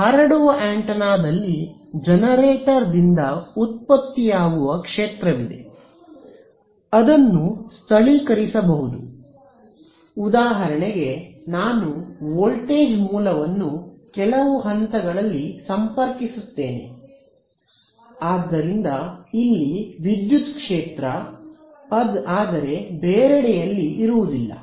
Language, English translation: Kannada, In case of a transmitting antenna there is going to be a field that is produced by the generator right, it may be localized for example, I connect a voltage source across some point, so the electric field here, but not somewhere else